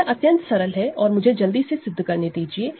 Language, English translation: Hindi, So, this is very easy and let me quickly prove this